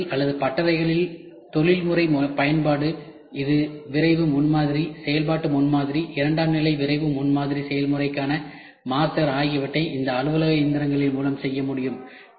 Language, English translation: Tamil, Professional use in the office or in workshops, it is used for rapid prototyping, functional prototyping, master for secondary rapid prototyping process also can be made through this office machines